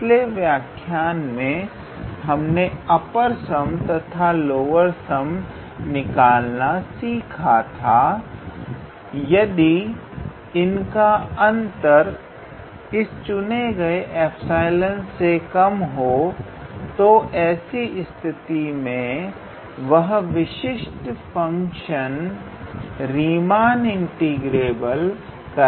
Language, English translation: Hindi, In the last class we have seen that how we calculate the upper sum and lower sum and if the difference of the upper sum and lower sum is less than this chosen epsilon, then in that case that particular function is said to be Riemann integrable